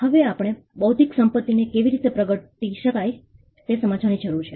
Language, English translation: Gujarati, Now, if we need to understand intellectual property how it can manifest